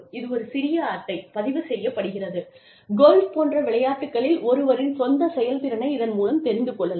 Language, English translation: Tamil, It is a small card, used to record, one's own performance, in sports, such as golf